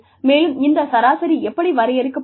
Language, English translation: Tamil, And, how is this average being defined